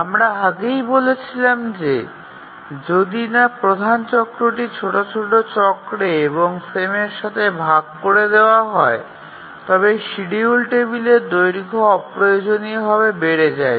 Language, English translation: Bengali, So, this point we had already said that unless the major cycle is squarely divided by the minor cycle or the frame, then the schedule table length would become unnecessary large